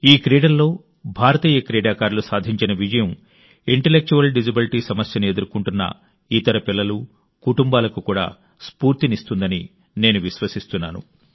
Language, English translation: Telugu, I am confident that the success of Indian players in these games will also inspire other children with intellectual disabilities and their families